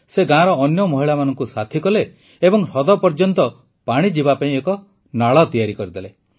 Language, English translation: Odia, She mobilized other women of the village itself and built a canal to bring water to the lake